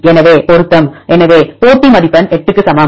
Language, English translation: Tamil, So, match; so match score equal to 8